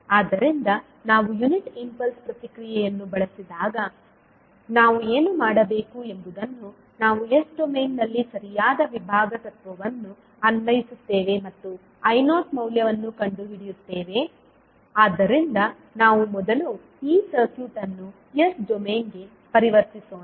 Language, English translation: Kannada, So when we use the unit impulse response what we have to do we apply the correct division principle in s domain and find the value of I naught so let us first convert this circuit into s domain